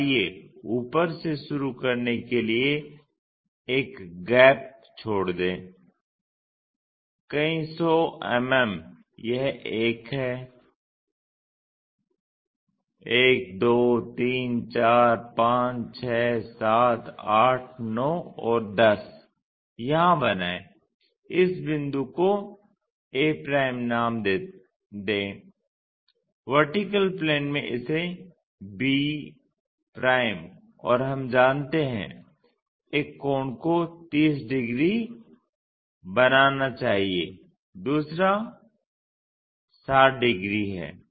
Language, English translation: Hindi, So, let us leave a gap begin from top 100 mm somewhere there, this is one 1 2 3 4 5 6 7 8 9 and 10 here construct that, name this point a' in the vertical plane b' and we know one angle supposed to make 30 degrees other one is 60 degrees